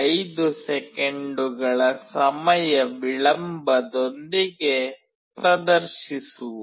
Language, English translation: Kannada, 5 second delay